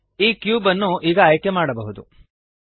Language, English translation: Kannada, The cube can now be selected